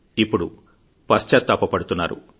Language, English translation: Telugu, all of them are regretting now